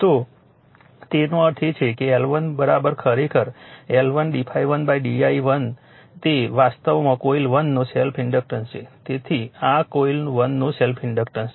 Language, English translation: Gujarati, So that means, L 1 is equal to actually L 1 d phi 1 upon d i1 it is actually self inductance of coil 1 right this is self inductance of coil 1